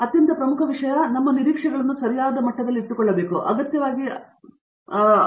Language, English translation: Kannada, So, that the most important thing is actually keep our expectations at the level that is appropriate and not necessarily water it down